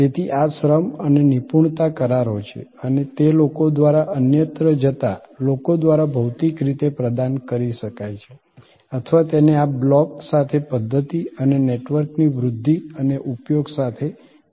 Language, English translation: Gujarati, So, these are labor and expertise contracts and these can be physically provided by people going elsewhere through people or it could be combined with this block with this access to and usage of systems and networks